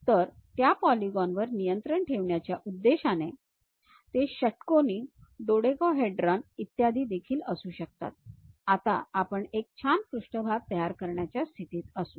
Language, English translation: Marathi, So, based on controlling those polygons, it can be hexagon, dodecahedrons and so on things, we will be in a position to construct a nice surface